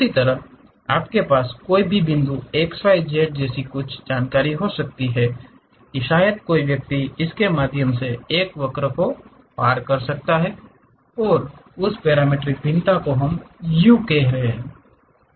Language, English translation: Hindi, In the same way you have any point x, y, z where you have information maybe one can pass a curve through that and that parametric variation what we are saying referring to u